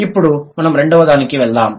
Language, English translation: Telugu, Now let's go to the second one